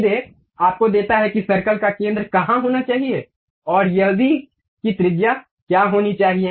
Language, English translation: Hindi, Straight away gives you where should be the center of the circle and also what should be that radius